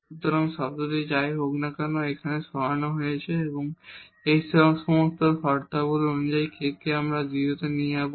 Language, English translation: Bengali, So, this term is anyway is removed here and this all these terms were the k is there we will go to 0